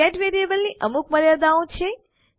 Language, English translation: Gujarati, The get variable has limitations